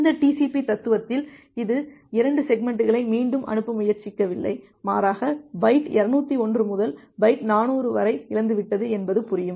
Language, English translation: Tamil, So, in this TCP philosophy it is not trying to retransmit 2 segments, rather it will understand that byte 201 to byte 400 has lost